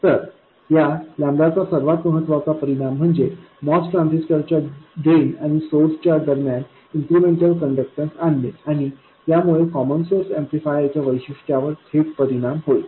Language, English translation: Marathi, So, the most important effect of this lambda is to introduce an incremental conductance between the drain and source of the most transistor and this will directly affect the characteristics of the common source amplifier